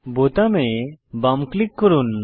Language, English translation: Bengali, Left click on the button